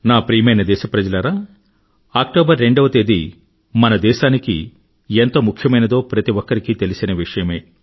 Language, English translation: Telugu, My dear countrymen, every child in our country knows the importance of the 2nd of October for our nation